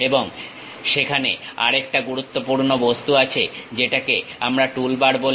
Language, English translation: Bengali, And there is another important object which we call toolbar